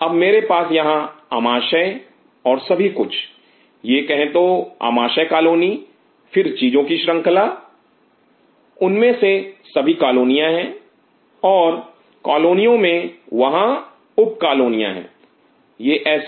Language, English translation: Hindi, Now, I have this Stomach and everything this is the say Stomach colony then the series of things, each one of them are colonies and within colonies there are sub colonies how is it